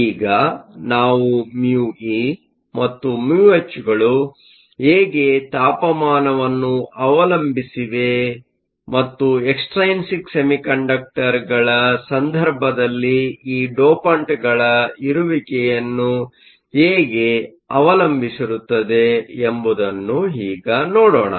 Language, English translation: Kannada, Now we look at how mu e and mu h depend on both temperature, and in the case of extrinsic semiconductor how it depends upon the presence of these dopants